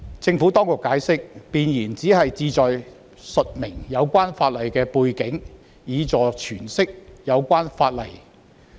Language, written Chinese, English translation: Cantonese, 政府當局解釋，弁言僅旨在述明有關法例的背景，以助詮釋有關法例。, The Administration has also explained that a preamble provides background information and serves to provide a context to facilitate the interpretation of the legislation concerned